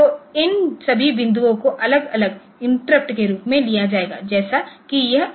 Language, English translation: Hindi, So, all these points will be taken as separate interrupts like this one, this one, this one